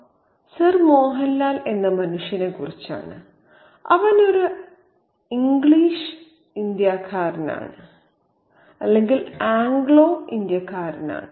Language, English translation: Malayalam, Karma is about a man called Sir Mohanlal and he is an anglicized Indian